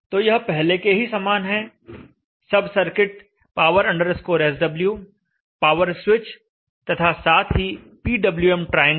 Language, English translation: Hindi, So this is like before a sub circuit power SW the power switch and we have the PWM triangle